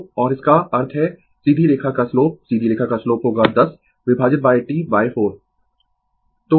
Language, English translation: Hindi, So, and that means, the slope of the straight line slope of the straight line will be this 10 divided by T by 4 right